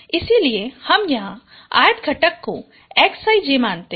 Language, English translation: Hindi, So we consider it the 5th component as xI